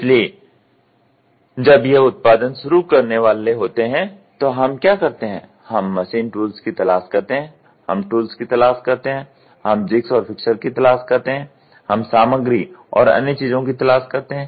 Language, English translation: Hindi, So, when it gets into the production what we do is we look for to machine tools, we look for tools, we look for jigs and fixtures, we look for material and other things